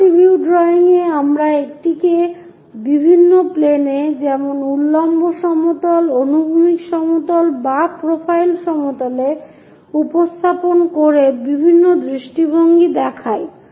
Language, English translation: Bengali, In multi view drawing we have different views by projecting it on different planes like vertical plane, horizontal plane or profile plane